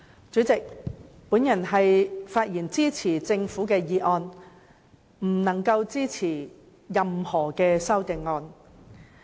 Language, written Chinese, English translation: Cantonese, 主席，我發言支持政府的《廣深港高鐵條例草案》，無法支持任何修正案。, Chairman I rise to speak in support of the Guangzhou - Shenzhen - Hong Kong Express Rail Link Co - location Bill the Bill but I cannot support any of the amendments